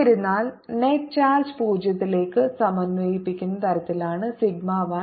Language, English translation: Malayalam, however, say sigma one is such the net charge integrate to zero